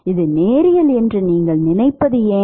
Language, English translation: Tamil, That is also linear